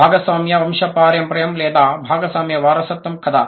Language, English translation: Telugu, Shared genealogy or the shared inheritance